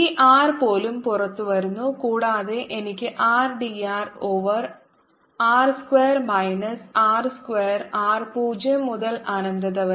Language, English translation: Malayalam, even this r comes out and i have r d r over r square minus r square square, r zero to infinity